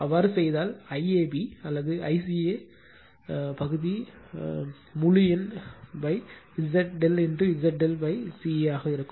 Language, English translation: Tamil, If you do so I AB or I CA will be area upon integer by Z delta into Z delta upon CA